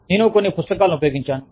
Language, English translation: Telugu, I have used some books